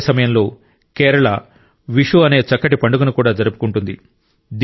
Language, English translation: Telugu, At the same time, Kerala also celebrates the beautiful festival of Vishu